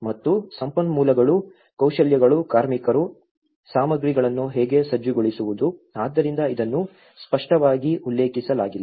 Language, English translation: Kannada, And how to mobilize the resources, skills, labour, materials, so this has been not been clearly mentioned